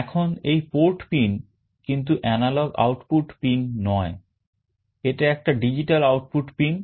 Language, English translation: Bengali, Now this port pin is not an analog output pin, it is a digital output pin